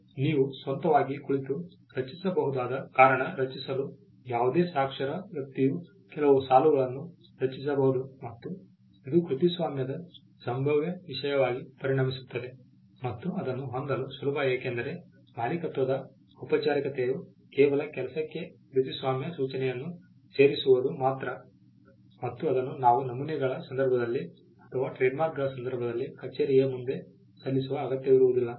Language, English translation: Kannada, To create because you can sit and create it on your own, any literate person can compose a few lines and it becomes a potential subject matter for copyright and it is easy to own because the formality of owning is just adding this to the work adding a copyright notice to the work which again does not require filing before up a office like what we saw in the case of patterns or even in the case of trademarks